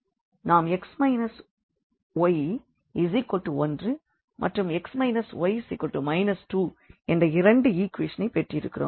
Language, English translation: Tamil, So, we have these two equations x minus y is equal to 1 and x minus y is equal to 2